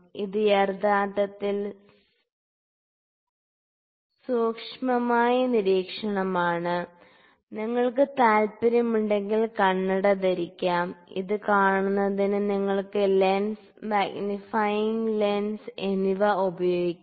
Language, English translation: Malayalam, This is actually close observation, you can wear some spectacles if you like because there are if you can also use some lens magnifying lens to see this